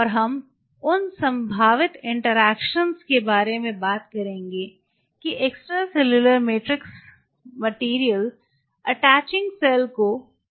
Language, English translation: Hindi, And we will talk about the possible interactions what is extracellular matrix materials are conferring on the attaching cell